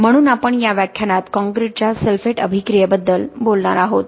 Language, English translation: Marathi, So we are talking in this class about sulphate attack of concrete